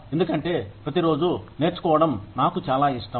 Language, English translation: Telugu, Because, I like learning, every day